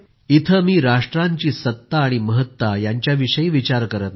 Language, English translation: Marathi, " Here I am not thinking about the supremacy and prominence of nations